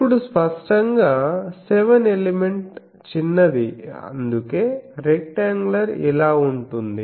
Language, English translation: Telugu, Now obviously, seven element is small that is why rectangular is a like this